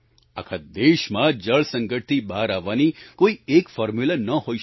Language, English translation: Gujarati, There cannot be a single formula for dealing with water crisis across the country